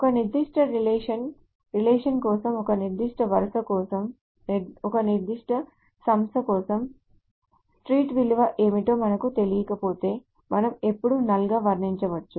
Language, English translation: Telugu, So for a particular relation, for a particular row, for a particular entity, if we do not know the what is the value of the street, we can always depict it as null